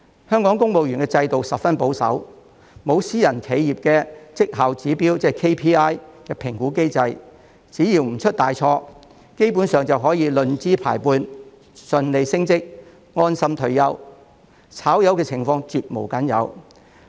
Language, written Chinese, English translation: Cantonese, 香港公務員制度十分保守，沒有私人企業的績效指標評估機制，只要不出大錯，基本上便可以論資排輩順利升職，安心退休，"炒魷"的情況絕無僅有。, Hong Kongs civil service system is very conservative . It does not have the evaluation mechanism with key performance indicators KPI adopted by private enterprises . As long as no major mistakes are made seniority - based promotions and a worry - free retirement are basically guaranteed and getting sacked is the last thing to happen